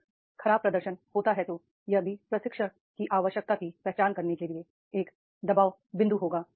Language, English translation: Hindi, If the poor performance is there then that will be also a pressure point to identify the training need